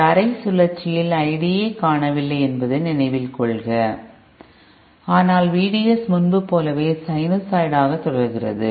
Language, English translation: Tamil, Recall that this half cycle is missing from I D, but V D S continues to be a sinusoid just like before